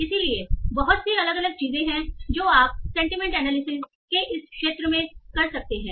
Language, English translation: Hindi, So there is a lot of different things that you can do about this field of sentiment analysis